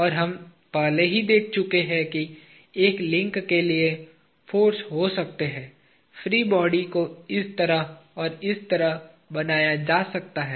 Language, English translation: Hindi, And, we already observed that for a link, the forces can be; the free body can be drawn to be like this and like this